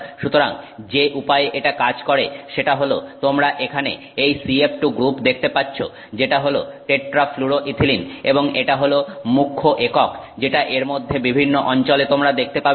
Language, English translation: Bengali, So, the way this works is you can see here the CF2, CF2 group here that is the tetrafluoroethylene and that is the primary unit that you see at various locations in this